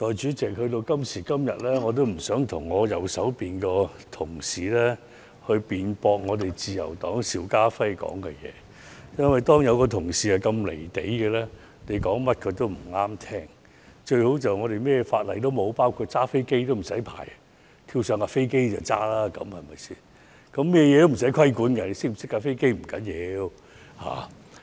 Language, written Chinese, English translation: Cantonese, 代理主席，今時今日，我已經不想跟我右邊的同事辯論自由黨邵家輝議員所說的話，因為當有同事如此"離地"，你說甚麼他都會覺得不中聽，最好便是香港甚麼法例都沒有，包括駕駛飛機也無需執照，跳上飛機便可以駕駛，對嗎？, Deputy President today I do not want to debate with the Honourable colleague sitting on my right over the remarks of Mr SHIU Ka - fai from the Liberal Party . If a person is so out of touch with reality he will not agree with any other views . He may find it best to eliminate all rules and regulations in Hong Kong including the licensing requirement for pilots so that everyone can fly a plane